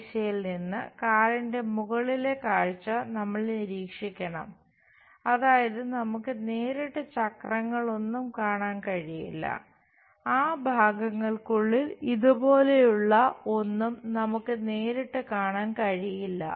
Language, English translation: Malayalam, From this direction, we have to observe the top view of the car, that means, we cannot straight away see any wheels, we cannot straight away see anything like these inside of that parts